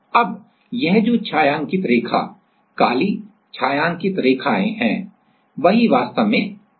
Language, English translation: Hindi, Now, this shaded line black shaded lines are the one which are actually fixed